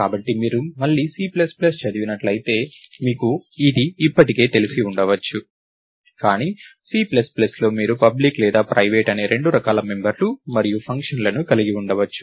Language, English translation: Telugu, So, again if you are exposed to C plus plus, you probably know this already, but in C plus plus you can have members and functions that are of two types, public or private right